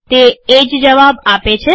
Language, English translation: Gujarati, It has give the same answer